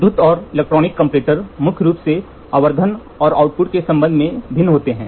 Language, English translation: Hindi, The electrical and electronic comparator mainly differs with respect to magnification and the type of output